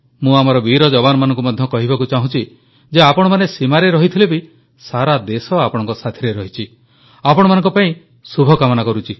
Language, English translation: Odia, I would also like to assure our brave soldiers that despite they being away at the borders, the entire country is with them, wishing well for them